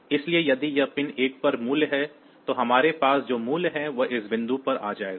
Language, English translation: Hindi, So, if this pin value to 1; so, value that we have here will be coming at this point